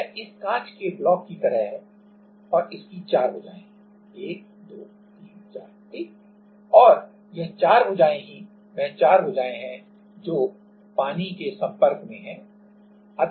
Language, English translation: Hindi, It is like this glass block and this has 4 sides 1 2 3 4, right and, this 4 side are 4 sides are in contact with the water